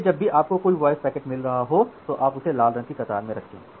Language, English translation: Hindi, So, whenever you are getting a voice packet you are putting it in the say red queue